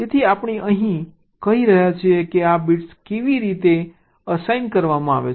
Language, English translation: Gujarati, so here we are saying how this bits are assigned